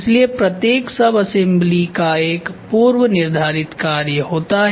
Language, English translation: Hindi, So, each sub assembly has a predefined function